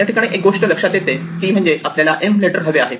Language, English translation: Marathi, So this tells us that the letter m is the one we want